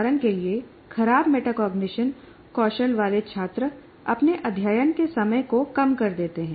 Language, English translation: Hindi, For example, students with poor metacognition skills, that poor metacognition reflects in shortening their study time prematurely